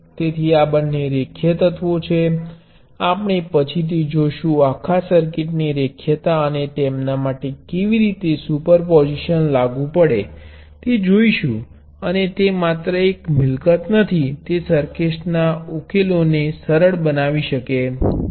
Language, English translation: Gujarati, So, both of these are linear elements, we will see later, see linearity of whole circuits, and how super position applies to them, and it is not just a property; it is something which can simplify the solutions of circuits